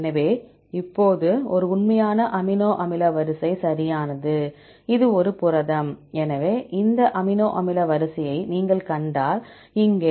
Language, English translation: Tamil, So, now this is a real amino acid sequence right, this is a protein; so here if you see this amino acid sequence